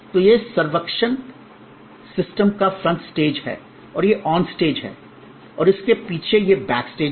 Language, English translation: Hindi, So, this is the front stage of the servuction system and this is the on stage and behind is this is the back stage